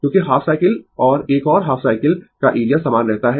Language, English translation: Hindi, Because, area for half cycle and another half cycle remain same